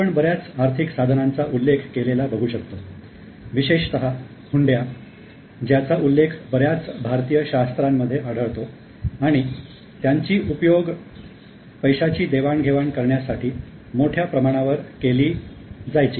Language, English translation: Marathi, We also see mention of several financial instruments, particularly hundis which are mentioned in many of the Indian scriptures and they were used extensively for transfer of money